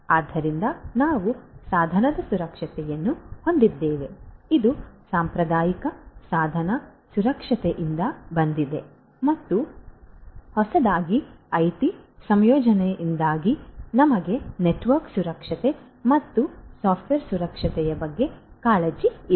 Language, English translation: Kannada, So, we will have the device security this is from the traditional device security, traditional and newly due to the integration of IT we have the concerns about network security and software security